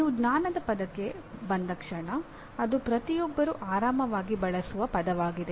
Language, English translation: Kannada, Now, the moment you come to the word knowledge it is a word that is used by everyone quite comfortably